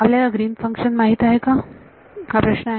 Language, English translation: Marathi, Do I know Greens function that is a question